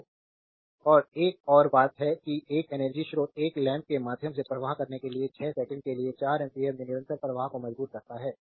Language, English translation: Hindi, So, and another thing is and a energy source your forces a constant current of 4 ampere for 6 second to flow through a lamp